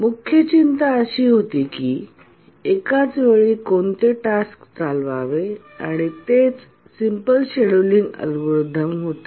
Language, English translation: Marathi, We were worried which tasks should run at one time and that was our simple scheduling problem